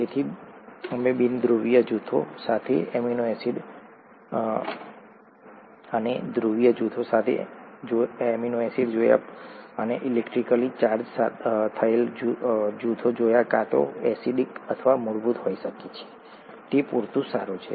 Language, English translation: Gujarati, So we saw amino acids with nonpolar groups, we saw amino acids with polar groups, and electrically charged groups which could either be acidic or basic, thatÕs good enough